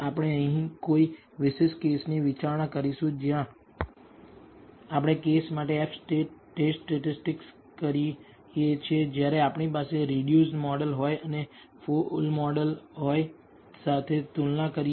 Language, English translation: Gujarati, We will consider a specific case here where we do the F test statistic for the case when we have a reduced model and compare it with the full model